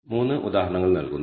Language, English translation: Malayalam, Here are 3 examples